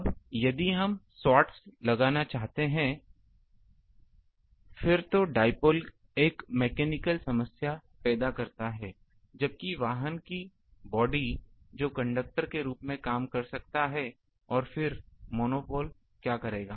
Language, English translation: Hindi, Now, if we want to put the swords and, then dipoles then the mechanically creates a problem whereas, the um the vehicle ba the body that can serve as a conductor and then monopole will do